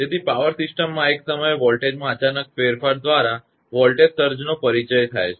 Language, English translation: Gujarati, So, a voltage surge is introduced by sudden change in voltage at a point in a power system